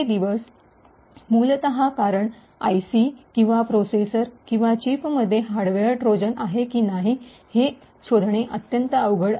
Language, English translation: Marathi, These days, essentially, because it is extremely difficult to detect whether an IC or a processor or a chip is having a hardware Trojan present within it